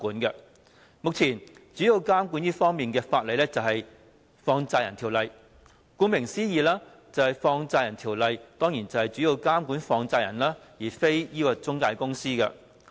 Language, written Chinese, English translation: Cantonese, 目前，這方面主要的監管法例是《放債人條例》。顧名思義，《放債人條例》主要是監管放債人，而非中介公司。, Currently the major regulatory legislation in this respect is the Money Lenders Ordinance and as its name suggests the Ordinance serves mainly to regulate money lenders not intermediaries